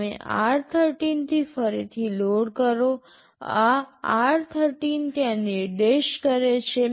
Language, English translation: Gujarati, You load again from r13; this r13 is pointing there